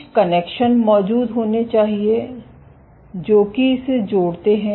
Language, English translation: Hindi, So, there must be some connections which exist which connect this